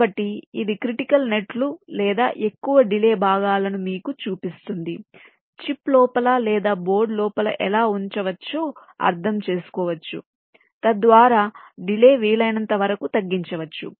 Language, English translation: Telugu, so this shows you so how the critical nets or the higher delay parts can be put, means [in/inside] inside a chip or or within a board, so as to minimize the delay as much as possible